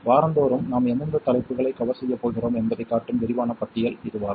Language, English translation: Tamil, This is a more detailed list that shows you week by week what topics we are going to cover